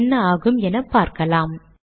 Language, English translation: Tamil, Lets see what happens